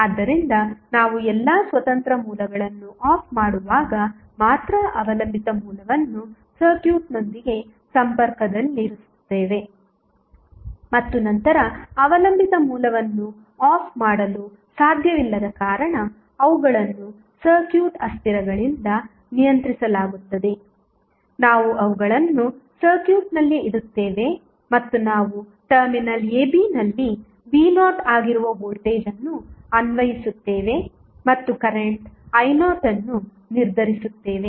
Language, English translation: Kannada, That in case the network has dependent sources we cannot turn off the dependent source because it is depending upon some circuit variable so we will keep dependent source connected with the circuit while we can turn off all the independent sources only and then since the dependent source cannot be turned off because they are control by the circuit variables we will keep them in the circuit and we will apply voltage that is V naught at the terminal a, b and determine the current I naught